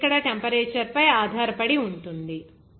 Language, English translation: Telugu, This actually depends on the temperature here